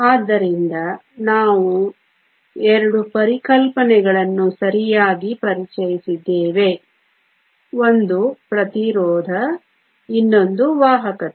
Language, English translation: Kannada, So, we have introduced two concepts right, one is the resistivity, the other is the conductivity